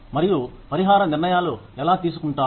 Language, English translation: Telugu, And, how compensation decisions are made